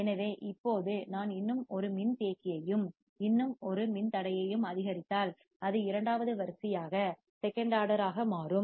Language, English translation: Tamil, So, now, if I increase one more capacitor and one more resistor, it will become second order